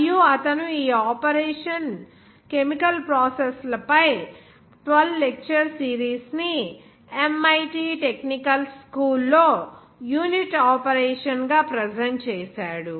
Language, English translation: Telugu, And he presented this series of 12 lectures on these operation chemical processes as a unit operation at the MIT technical school